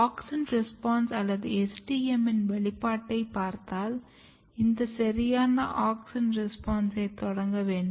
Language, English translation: Tamil, And if you look the auxin response or the expression of STM because this proper auxin response has to be initiated